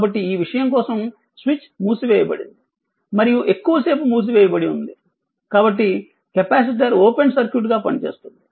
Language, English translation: Telugu, So, for this for this thing switch is closed; and for it was it remain closed for long time, so capacitor will act as open circuit